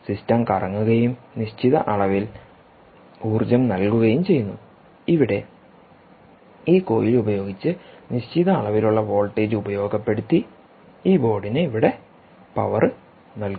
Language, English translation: Malayalam, anyway, the system rotates and certain amount of energy is induced, certain amount of voltage induced by this coil here and that powers this board